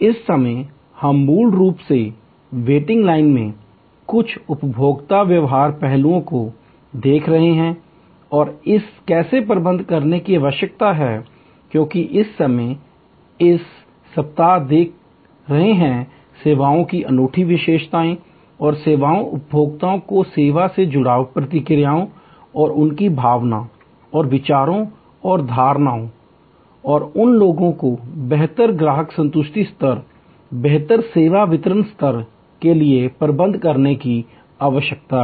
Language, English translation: Hindi, At this moment, we are basically looking at some consumer behavioral aspects in waiting line and how that needs to be manage, because right at this moment we are looking at in this week, the unique characteristics of services and the service consumers engagement to the service processes and their feeling and thoughts and perceptions and how those need to be manage for a better customer satisfaction level, better service delivery level